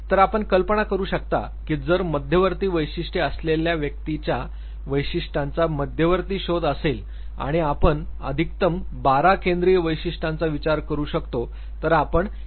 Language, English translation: Marathi, So, you can imagine that if central traits are center of exploration of characteristics of a given individual and you can assume of at max tend to twelve central traits, then how many cardinal traits you can think of